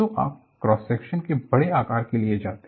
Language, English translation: Hindi, So, you will go for a larger size of cross section